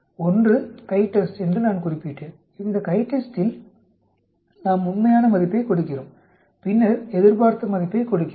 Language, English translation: Tamil, I mentioned one is the CHITEST, where in CHITEST we give the actual value then we give the expected value